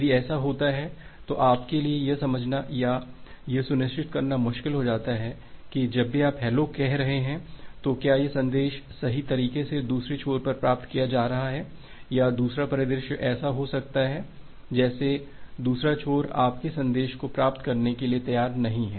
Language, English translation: Hindi, If it happens, then it becomes difficult for you to understand or to ensure that whenever you are saying hello, whether that message is correctly being received by the other end or the second scenario can be like the other end is not ready to receive your message and that is why it is not echoing back the hello message or not acknowledging your hello message